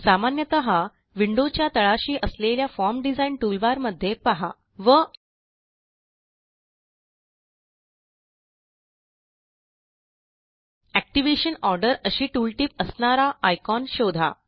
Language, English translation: Marathi, In the Form Design toolbar, usually found at the bottom of the window, we will browse through the icons And find the icon with the tooltip that says Activation order